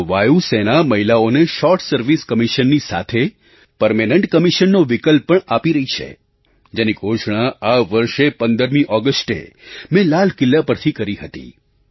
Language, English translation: Gujarati, Now, the Air Force is offering the option of Permanent Commission to Women besides the Short Service Commission, which I had announced on the 15th of August this year from the Red Fort